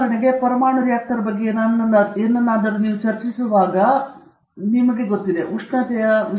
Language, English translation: Kannada, You can also say that, you know, for example, you are discussing say something about a nuclear reactor